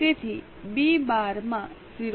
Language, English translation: Gujarati, So, B 12 into 0